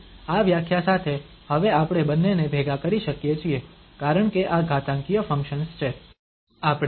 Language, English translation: Gujarati, So, with this definition now we can club the two because these are the exponential functions